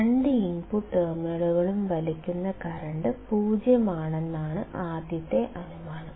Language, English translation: Malayalam, What we are assuming is that the current drawn by inverting or non inverting terminals is 0